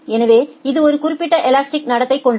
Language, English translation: Tamil, So, it has certain kind of elastic behavior